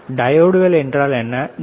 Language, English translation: Tamil, What are diodes, right